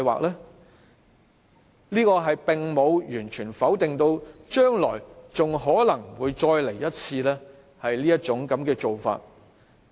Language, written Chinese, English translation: Cantonese, 這說法並無完全否定將來還可能再次用這種做法。, His reply does not completely rule out the re - adoption of this practice in the future